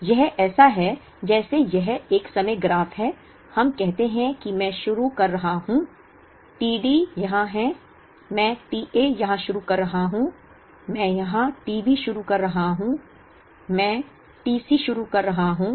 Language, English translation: Hindi, So, it is like this is a time graph, let us say I am starting t D here, I am starting t A here, I am starting t B here, I am starting t C here, t B here and then once again I start t D and so on